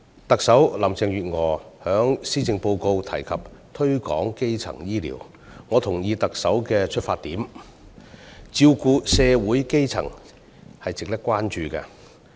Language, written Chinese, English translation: Cantonese, 特首林鄭月娥在施政報告中提及推廣基層醫療，我同意特首的出發點，照顧社會基層是值得關注的事項。, The Chief Executive Carrie LAM spoke about promoting primary healthcare in her Policy Address . I agree with her rationale that taking care of people at the bottom of society is something that warrants our concern